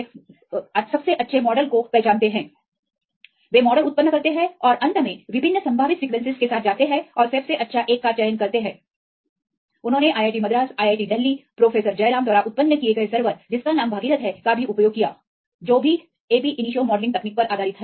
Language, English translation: Hindi, And for the smaller for their unknown cases, they do the modelling and then finally, they generates the model and finally, go with the different possible structures and select the best one this is how they use even the IIT Madras, IIT Delhi, Professor Jairam developed a server called Bhagirath that is also based on the ab initio modelling technique